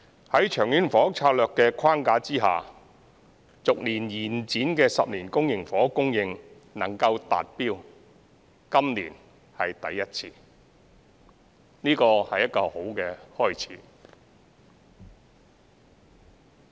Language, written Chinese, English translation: Cantonese, 在《長遠房屋策略》的框架下，逐年延展的10年公營房屋供應，今年是第一次能夠達標，這是一個好的開始。, This year we have for the first time met the rolling 10 - year housing supply target under the framework of the Long Term Housing Strategy LTHS